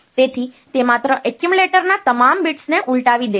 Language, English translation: Gujarati, So, it is it will just invert all the bits of the accumulator